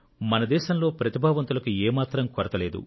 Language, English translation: Telugu, There is no dearth of talent in our country